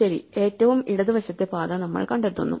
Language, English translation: Malayalam, Well, we find the left most path